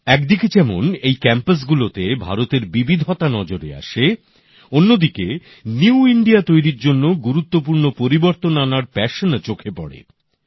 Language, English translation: Bengali, In these campuses on the one hand we see the diversity of India; on the other we also find great passion for changes for a New India